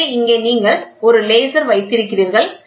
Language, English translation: Tamil, So, here you have a laser which hits this